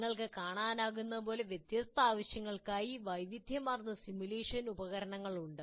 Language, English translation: Malayalam, So as you can see, one can have a very large variety of simulation tools for different purposes